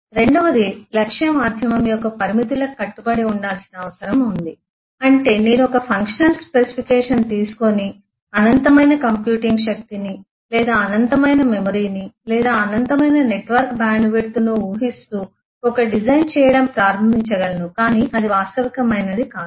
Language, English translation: Telugu, The second is it will need to confirm to the limitations of the target medium which means that I can take a functional specification and start doing a design assuming infinite amount of computing power or infinite amount of memory or infinite amount of eh network bandwidth and so on so forth that is not realistic